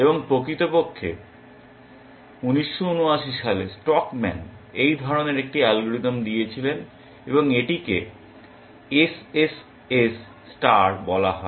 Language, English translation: Bengali, And indeed such an algorithm was given by stockman in 1979 and it is called SSS star